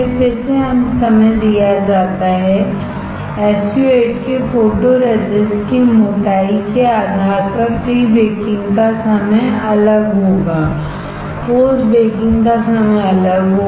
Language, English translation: Hindi, Again the time is given, depending on the thickness of the photoresist of SU 8 the time for pre baking time will be different; time for post baking would be different